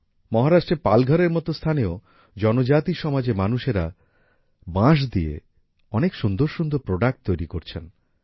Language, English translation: Bengali, Even in areas like Palghar in Maharashtra, tribal people make many beautiful products from bamboo